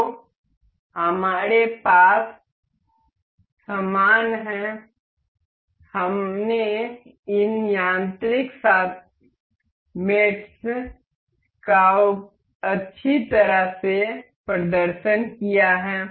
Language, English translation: Hindi, So, we have similar we have nicely demonstrated these mechanical mates